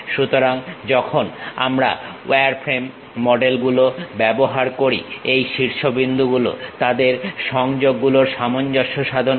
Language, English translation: Bengali, So, when we are using wireframe models, these vertices adjust their links